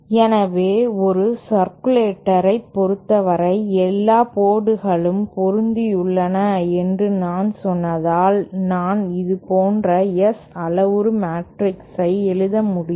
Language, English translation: Tamil, So, for a circulator, suppose since I said all the ports are matched, I might be able to write the S parameter matrix like this